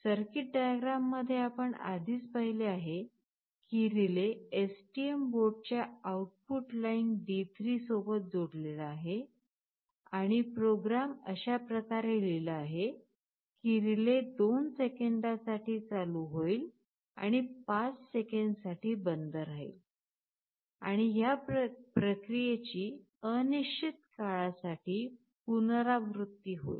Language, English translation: Marathi, We have already seen in the circuit diagram that the relay is connected to the output line D3 of the STM board, and the program is written in such a way that the relay will be turned on for 2 seconds and turned off for 5 seconds, and this process will repeat indefinitely